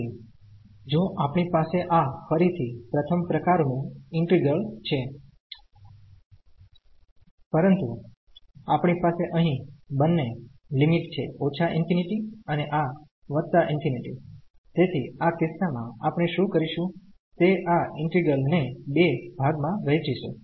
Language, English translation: Gujarati, So, if we have this again the first kind integral, but we have the both the limits here minus infinity and this plus infinity so, in this case what we will do we will break this integral into two parts